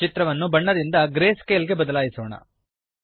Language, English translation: Kannada, Now let us change the picture from color to greyscale